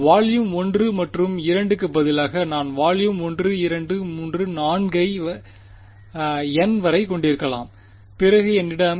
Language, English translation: Tamil, So, instead of volume 1 and 2 I may have volume 1 2 3 4 up to n then I will have